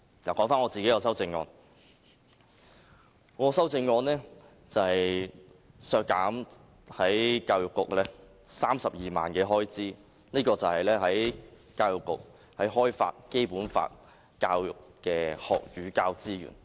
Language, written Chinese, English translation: Cantonese, 說回我的修正案，我的修正案是削減教育局32萬元開支，這是關於教育局開發《基本法》教育的學與教資源。, Let me return to my amendment . My amendment seeks to deduct the expenditure of the Education Bureau by 320,000 . This money is supposed to be used by the Education Bureau to develop the teaching and learning kits for Basic Law education